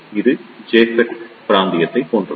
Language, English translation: Tamil, It is similar to the JFET region